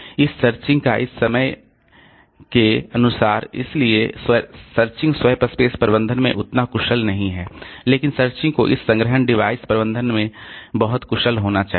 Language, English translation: Hindi, At the same time, as far as this searching is concerned, so searching is not that efficient in SWAP space management but searching has to be very efficient in this storage device management